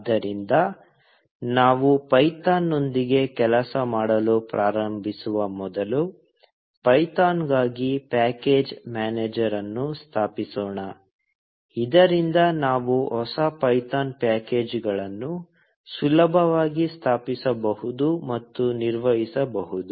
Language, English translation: Kannada, So, before we start working with python, let us install a package manager for python, so that, we can install and manage new python packages easily